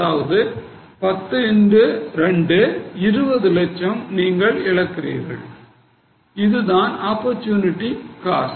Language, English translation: Tamil, So 10 into 2 you are losing 20 lakhs that is the opportunity cost